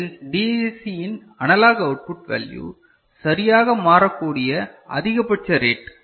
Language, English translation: Tamil, So, the maximum rate at which the analog output value of DAC can change ok